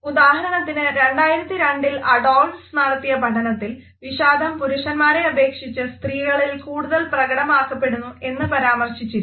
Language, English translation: Malayalam, For example, I would refer to a particular study by Adolphs, which was conducted in 2002 and which suggest that the expressions of sadness are mainly expressed more in women than men